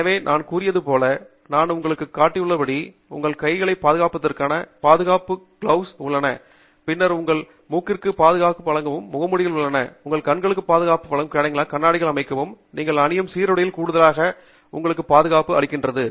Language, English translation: Tamil, So, as I mentioned, as I have just shown you, there are a set of gloves which handle, which provide safety for your hands, and then, there are masks which provide safety for your nose, for your breathing process, and there are set of shields and goggles which provide protection for your eyes, in addition to the uniform that you wear, which then provides you with general protection